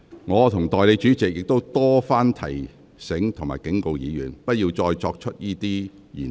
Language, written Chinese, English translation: Cantonese, 我和代理主席亦曾多番提醒及警告議員，不要再次使用這些言詞。, Both the Deputy President and I had repeatedly reminded Members and warned them against using those expressions again